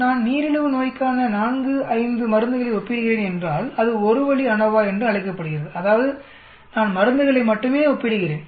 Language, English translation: Tamil, Suppose if I am comparing 4, 5 drugs for diabetes then that is called a 1 way ANOVA that means, I am comparing only drugs